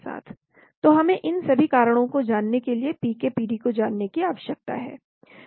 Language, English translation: Hindi, So we need to for all these reasons we need to know the PK, PD